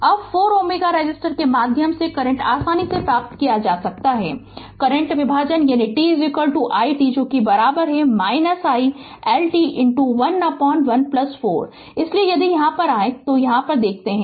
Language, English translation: Hindi, Now, the current i through 4 ohm resistor can easily be obtained by current division that is i L t is equal to your i t is equal to minus i L t into 1 upon 1 plus 4, so if you come here if you if you come here right